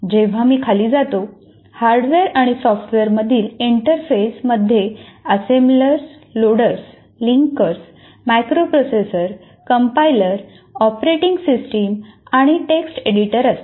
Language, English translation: Marathi, And now once again when I go down, interface between hardware and application software consists of assemblers, loaders and linkers, macro processors, compilers, operating systems and text editor